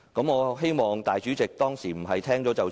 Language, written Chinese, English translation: Cantonese, 我希望主席不是聽了便算。, I hope the President will not forget these words